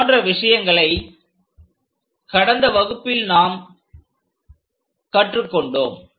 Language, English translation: Tamil, These are the things what we have learned in the last class